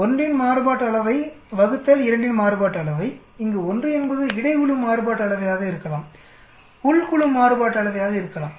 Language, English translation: Tamil, Variance of 1 divided by variance of 2, where 1 could be between groups variance, within group variance